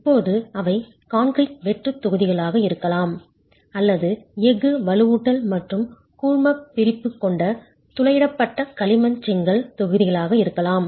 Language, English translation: Tamil, Now those could be concrete hollow blocks or it could be the perforated clay brick blocks with steel reinforcement and grouting